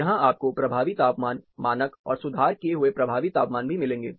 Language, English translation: Hindi, You will also find effective temperature, standard and corrected effective temperatures here